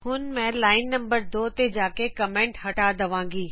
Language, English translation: Punjabi, So I will go to line number 2, remove the comment